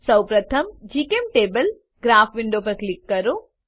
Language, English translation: Gujarati, First click on GChemTable Graph window